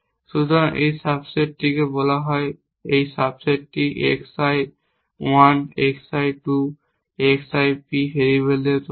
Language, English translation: Bengali, So, this subset let us say this sub set is made up of variables x i 1 x i 2 x i p